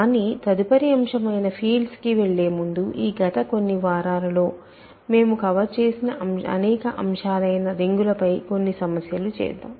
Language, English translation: Telugu, But, before moving to the next topic which is fields, let me do a few problems on rings in general on many of the topics that we covered in these last few weeks